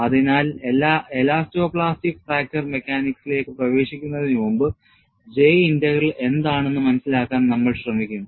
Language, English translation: Malayalam, So, before we get into elasto plastic fracture mechanics, we will try to understand what is J Integral